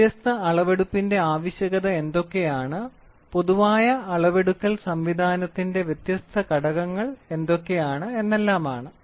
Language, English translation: Malayalam, Then what are the different types of applications of measurement and what are the different elements of a generalized measuring system